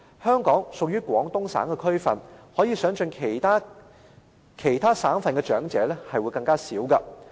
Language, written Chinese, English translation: Cantonese, 香港屬於廣東省的區份，可以想象其他省份的長者人數便會更少。, Hong Kong is located in the Guangdong Province . It is believed that the number of eligible elderly in other provinces is even less